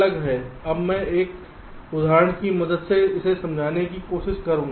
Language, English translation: Hindi, now i shall try to explain this with the help of an example